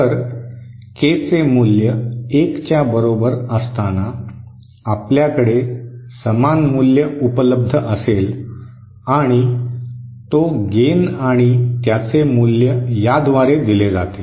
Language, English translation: Marathi, So at K equal to 1, we have a match as possible and the gain and that value is given by this